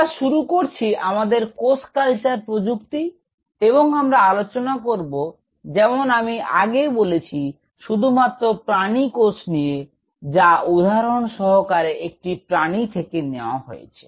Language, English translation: Bengali, So, we start off with; so, our cell culture technology and we will be dealing as I mentioned exclusively with animal cells and what I am trying to tell you is that say for example, from an animal